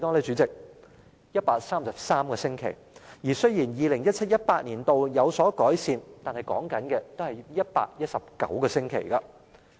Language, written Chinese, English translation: Cantonese, 主席，是133個星期，情況雖然在 2017-2018 年度有所改善，但仍需要119個星期。, President the answer is 133 weeks and although the situation has improved in 2017 - 2018 they were still required to wait for 119 weeks